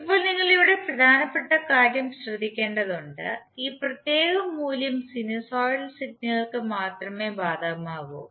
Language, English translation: Malayalam, Now you have to note the important point here that this particular value is applicable only for sinusoidal signals